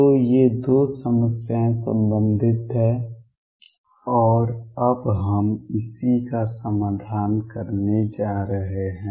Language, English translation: Hindi, So, these 2 problems are related and that is what we have going to address now